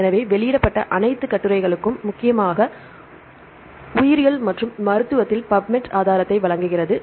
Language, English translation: Tamil, So, PUBMED provides the resource for all the published articles mainly in biology right and medicine